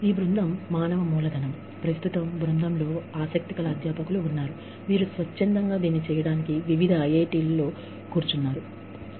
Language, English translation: Telugu, This team human capital, right now, the team consists of interested faculty, who have volunteered to do this, sitting in various IITs